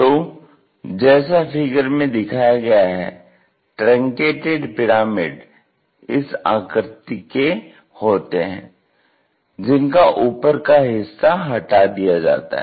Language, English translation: Hindi, So, truncated pyramids have such kind of shape where the top portion is removed